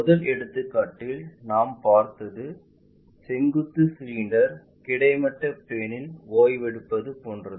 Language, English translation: Tamil, Instead of having the first example like resting means, vertical cylinder what we willsee isa lay down horizontal cylinder